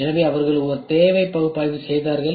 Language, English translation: Tamil, So, they went around did a need analysis, ok